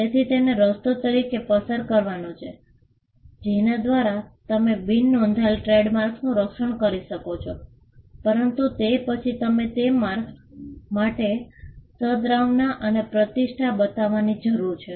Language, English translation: Gujarati, So, passing off as a way by which, you can protect unregistered trademarks, but then you need to show goodwill and reputation for those marks